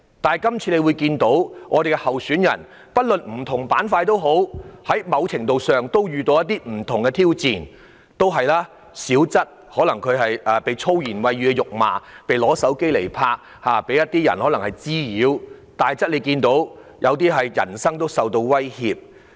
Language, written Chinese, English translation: Cantonese, 但是，這次區議會選舉的候選人，無論屬於甚麼板塊，都在某程度上遇到不同的挑戰，小則被人以粗言穢語辱罵、被人用手機拍攝或滋擾；大則受到人身威脅。, However candidates of this Election no matter which grouping they belong to have faced challenges of various degrees ranging from minor clashes such as being hurled abuse at with foul language filmed with mobile phones or harassed to more serious ones such as personal threats